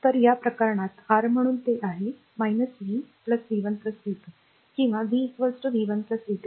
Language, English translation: Marathi, So, so, in this case your so, in this case it is minus v plus v 1 plus v 2 is equal or v is equal to v 1 plus v 2